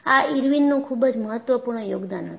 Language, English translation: Gujarati, So, that was the very important contribution by Irwin